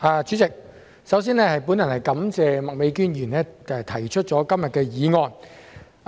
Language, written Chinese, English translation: Cantonese, 代理主席，我首先感謝麥美娟議員今天動議議案。, Deputy President to begin with I wish to thank Ms Alice MAK for moving the motion today